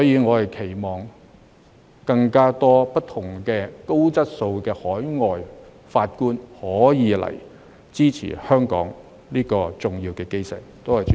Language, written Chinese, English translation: Cantonese, 我期望更多高質素的海外法官可以來香港，支持香港這個重要基石。, I hope that more quality overseas judges will come to Hong Kong to support this important cornerstone of Hong Kong